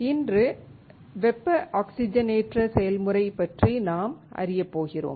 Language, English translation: Tamil, Today, we are going to learn about thermal oxidation process